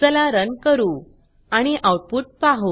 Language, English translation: Marathi, Let us Run and see the output